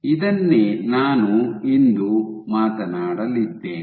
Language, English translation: Kannada, So, this is what I am going to talk about today